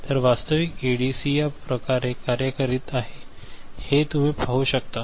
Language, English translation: Marathi, So, this is the way you can see an actual ADC is working right